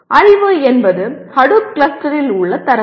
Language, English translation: Tamil, Knowledge is data in Hadoop cluster